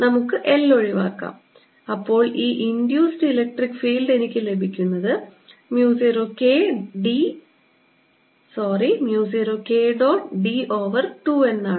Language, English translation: Malayalam, let's again cancel l and i get this induced electric field e to be equal to mu zero k dot d over two